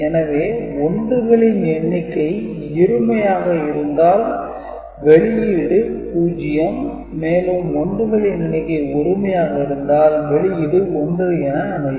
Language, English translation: Tamil, So, if the number of 1s are even, the output will be 0 and if the number of 1s, total number of 1s are odd then the output will be 1